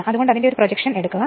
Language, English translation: Malayalam, So, take its projection right